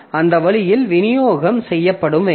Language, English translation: Tamil, So that way that distribution has to be done